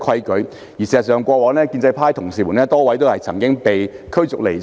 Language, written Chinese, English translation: Cantonese, 事實上，過往也曾有多位建制派議員被驅逐離場。, In fact a number of Members from the pro - establishment camp were asked to leave the Chamber in the past